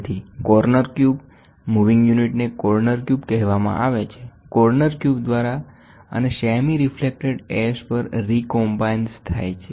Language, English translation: Gujarati, So, corner cube so, the moving unit is called as a corner cube, by the corner cube and recombines at the semi reflector S